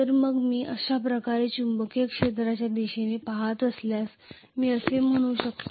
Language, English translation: Marathi, So in which case I can say if I am looking at the magnetic field direction like this